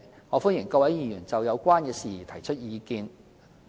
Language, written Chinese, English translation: Cantonese, 我歡迎各位議員就有關的事宜提出意見。, I welcome Members to give views on the relevant issues